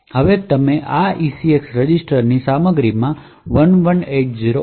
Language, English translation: Gujarati, Now you add 1180 to the contents of this ECX register